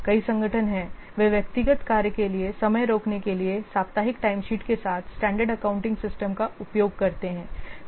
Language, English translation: Hindi, several organizations are there, they use standard accounting systems with weekly timesheets to charge staff time to individual jobs